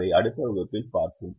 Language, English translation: Tamil, we will look at that in the next class